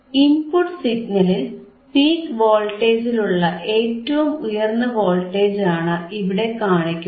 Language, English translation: Malayalam, You see it is only showing the highest voltage at a peak voltage in the input signal, peak voltage in the input signal